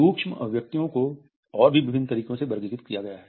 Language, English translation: Hindi, Micro expressions are further classified in various ways